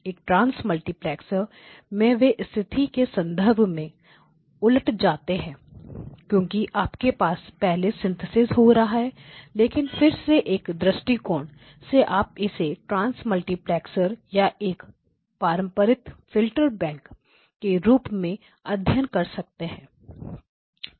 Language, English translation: Hindi, In a trans multiplexer they are reversed in terms of position because you have the synthesis happening first but again from a view point you can study it as a trans multiplexer or as a conventional filter bank